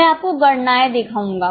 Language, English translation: Hindi, I'll show you the calculations